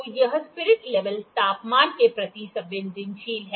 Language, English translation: Hindi, So, this spirit level is sensitive to the temperature